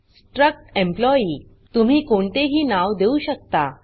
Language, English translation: Marathi, struct employee You can give any name